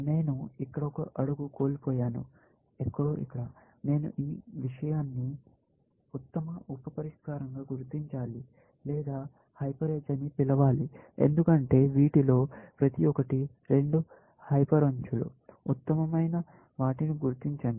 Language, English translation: Telugu, I have missed out one step here, somewhere here; I must have this thing marked as best sub solution, or I should say, hyper edge, because each of these are the two hyper edges; just mark the best ones